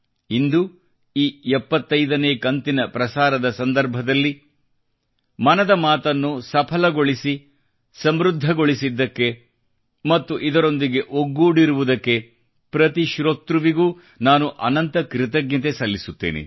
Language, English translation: Kannada, During this 75th episode, at the outset, I express my heartfelt thanks to each and every listener of Mann ki Baat for making it a success, enriching it and staying connected